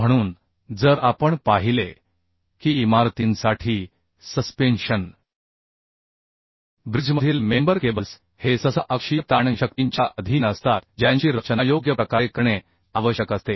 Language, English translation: Marathi, So if we see that truss member, cables in suspension bridges, bracings for buildings, these are often subjected to axial tension forces, who is next to be designed properly